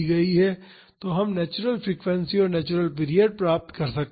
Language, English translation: Hindi, So, we can find the natural frequency and the natural period